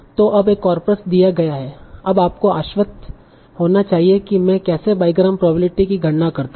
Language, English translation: Hindi, So now given a corpus you should be confident now that how do I compute the bygram probabilities